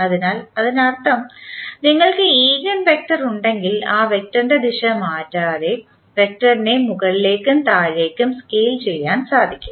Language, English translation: Malayalam, So, that means that if you have the eigenvector you just scale up and down the vector without changing the direction of that vector